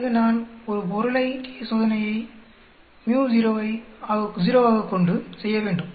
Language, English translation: Tamil, Then I perform a one sample t Test with µ0 as 0